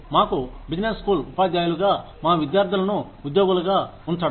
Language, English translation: Telugu, For us, as business school teachers, getting our students placed